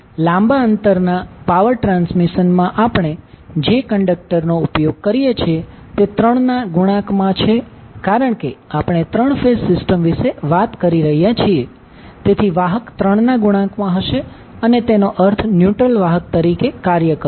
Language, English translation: Gujarati, So in a long distance power transmission the conductors we use are in multiple of three because we are talking about the three phase system, so the conductors will be in multiple of three and R3 will act as neutral conductor